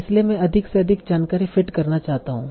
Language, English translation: Hindi, So I want to fit as information as possible